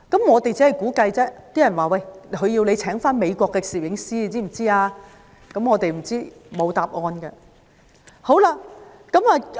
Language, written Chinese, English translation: Cantonese, 我們估計，他們是想我們聘用美國的攝影師，但答案不得而知。, We conjectured that they wanted us to hire cameramen in the United States but we never know the answer